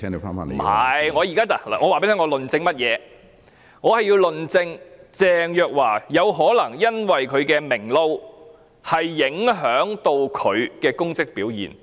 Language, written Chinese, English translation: Cantonese, 我沒有，我現在告訴你，我要論證鄭若驊有可能因為"明撈"，而影響到她在其職位上的表現。, No I have not digressed . I am telling you that I want to prove that Teresa CHENGs performance may be affected by her public jobs